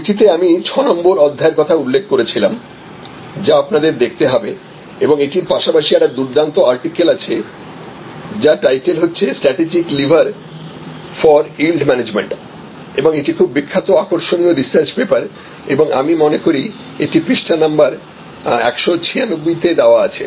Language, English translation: Bengali, And in the book as I have mentioned chapter number 6 is what you have to look at and in addition to that there is an excellent article I think it is called a strategic livers for yield management and that paper it is a very famous very interesting research paper and I think is it is available page number 196 page 196